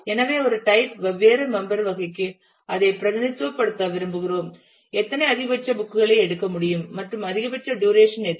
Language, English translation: Tamil, So, we would like to represent that for different member type which is a category; how many number of maximum books can be taken and what could be the maximum duration